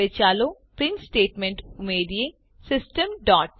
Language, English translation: Gujarati, Now let us add the print statement, System